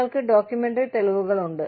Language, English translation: Malayalam, You have documentary evidence